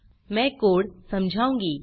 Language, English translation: Hindi, I will explain the code